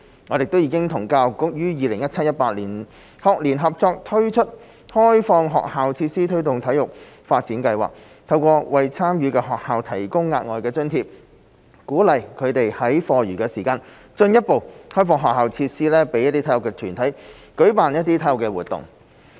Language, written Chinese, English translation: Cantonese, 我們亦已經與教育局於 2017-2018 學年合作推出開放學校設施推動體育發展計劃，透過為參與的學校提供額外津貼，鼓勵他們在課餘時間進一步開放學校設施予體育團體舉辦體育活動。, In the 2017 - 2018 school year HAB and the Education Bureau EDB also jointly launched the Opening up School Facilities for Promotion of Sports Development Scheme to encourage schools through a provision of additional subsidy to further open up their facilities to sports organizations for organizing sports activities after school hours